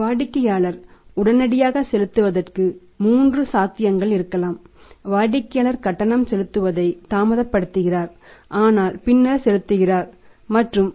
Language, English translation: Tamil, There can be three possibilities customer promptly pays, customer delays the payment but pays later on and customer never pays